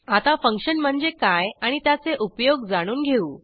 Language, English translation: Marathi, Let us see what is a function and its usage